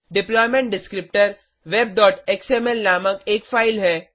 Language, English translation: Hindi, The deployment descriptor is a file named web.xml